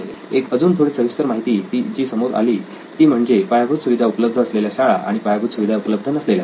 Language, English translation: Marathi, A little detail that came in between was that what about schools with infrastructure and without infrastructure